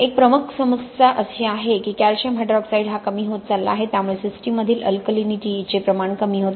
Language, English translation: Marathi, One major issue is that you are losing calcium hydroxide so you are causing a reduction in the alkalinity of the system, okay